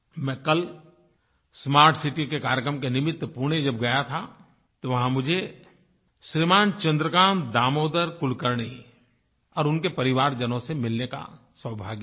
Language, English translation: Hindi, Yesterday when I went to Pune for the Smart City programme, over there I got the chance to meet Shri Chandrakant Damodar Kulkarni and his family